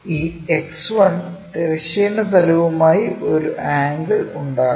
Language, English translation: Malayalam, This line X1 is make an inclination angle with the horizontal plane